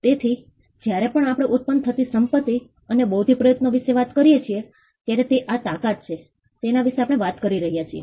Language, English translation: Gujarati, So, whenever we talk about the property that comes out and intellectual effort, it is this strength that we are talking about